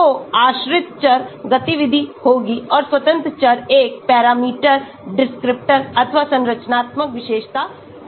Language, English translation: Hindi, So, the dependent variable will be the activity and the independent variable will be a parameter, descriptor or structural feature